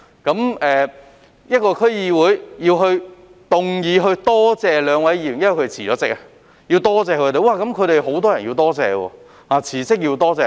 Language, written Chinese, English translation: Cantonese, 如果區議會要動議感謝這兩名已辭職的議員，便有很多人也需要感謝。, If Kwai Tsing DC has to move motions to express gratitude to the resigned members there are a lot more it should thank